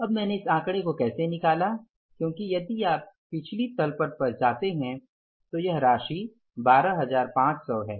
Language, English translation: Hindi, Now how I have worked out this figure because if you go to the previous balance sheet this amount is 12,500